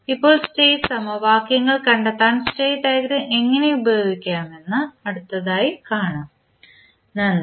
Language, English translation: Malayalam, Now, we will see next how we will use the state diagram to find out the state equations, thank you